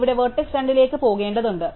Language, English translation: Malayalam, So, I have to go to vertex 2 here